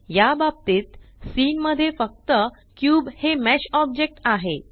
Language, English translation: Marathi, In this case, the cube is the only mesh object in the scene